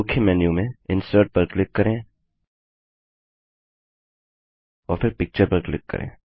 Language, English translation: Hindi, Click on Insert from the Main menu and then click on Picture